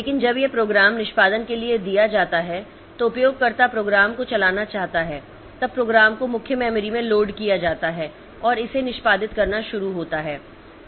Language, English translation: Hindi, But when this program is given for execution, so the user wants to run the program then the program is loaded into main memory and it starts executing so it starts consuming CPU time and all